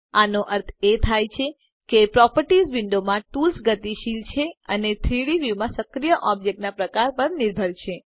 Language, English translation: Gujarati, This means that the tools in the Properties window are dynamic and depend on the type of active object in the 3D view